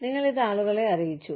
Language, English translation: Malayalam, You reported this to people